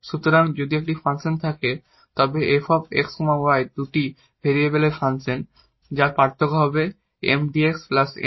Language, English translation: Bengali, So, if there exists a function this f x y the function of two variable whose differential is exactly this Mdx plus Ndy